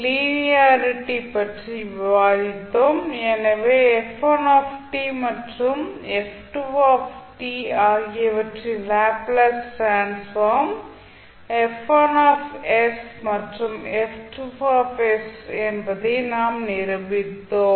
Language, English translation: Tamil, We discussed about linearity, so in that we demonstrated that if the Laplace transform of f1 t and f2 t are F1 s and F2 s